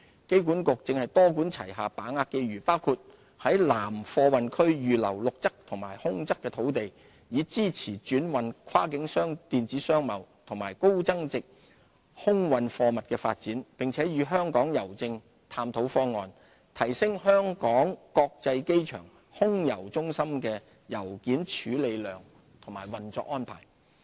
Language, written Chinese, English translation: Cantonese, 機管局正多管齊下把握機遇，包括在南貨運區預留陸側和空側土地，以支持轉運、跨境電子商貿及高增值空運貨物的發展，並與香港郵政探討方案，提升香港國際機場空郵中心的郵件處理量和運作安排。, To capitalize on these opportunities AA has taken an array of measures which include reserving land on both the airside and landside in the South Cargo Precinct so as to support the growth in trans - shipment cross - boundary e - commerce and high value - added air cargo business . AA is working with Hongkong Post to explore ways to enhance the handling capacity and operational arrangement of the Air Mail Centre at HKIA